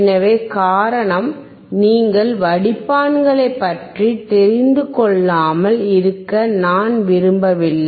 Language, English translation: Tamil, So, the reason is because I do not want you to miss out on the filters